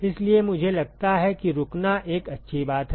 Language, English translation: Hindi, So, I think it is a good point to stop